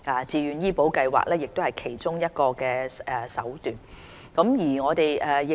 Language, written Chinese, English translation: Cantonese, 自願醫保計劃是其中一個減輕公營醫療系統長遠壓力的手段。, Voluntary Health Insurance Scheme is a means for alleviating the long - term pressure on public health care system